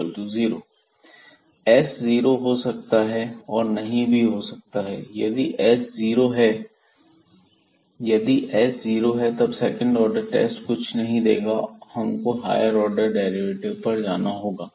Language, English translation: Hindi, So, s maybe 0, s may not be 0, so if s is 0 again the second order test will not give anything and we have to go for the higher order derivatives